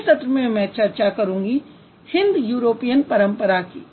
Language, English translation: Hindi, I'll talk about Indo European tradition in the next session